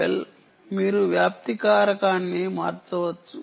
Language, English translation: Telugu, well, you can change the spreading factor